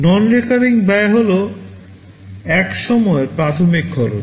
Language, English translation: Bengali, The non recurring cost is the one time initial cost